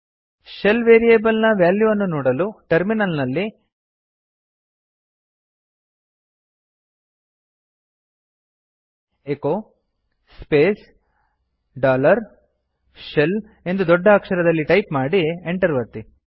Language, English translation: Kannada, To see what is the value of the SHELL variable, type at the terminal echo space dollar S H E L L in capital and press enter